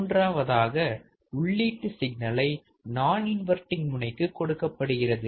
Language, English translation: Tamil, Third, the input signal is applied to the non inverting terminal